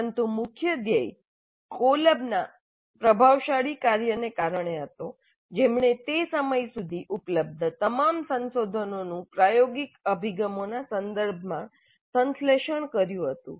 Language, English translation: Gujarati, But the major thrust was due to the influential work of Kolb who synthesized all the research available up to that time regarding experiential approaches